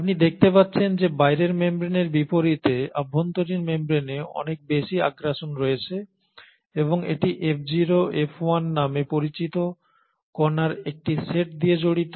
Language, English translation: Bengali, You find that the inner membrane unlike the outer membrane has far more invaginations and it is studded with a set of particles which is called as the F0, F1 particles